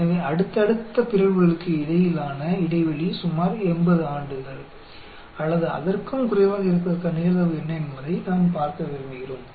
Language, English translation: Tamil, So, we want to look at, what is the probability that the interval between successive mutations is about 80 years or less